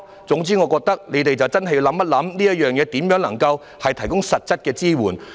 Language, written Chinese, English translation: Cantonese, 總言之，我覺得政府要認真考慮如何能夠向長者提供實質支援。, All in all I think that the Government ought to seriously ponder how best to provide concrete support for elderly persons